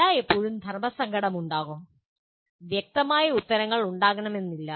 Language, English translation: Malayalam, It is always the dilemma would be there and there may not be very clear answers